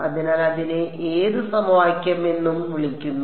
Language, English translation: Malayalam, So, that is also called as which equation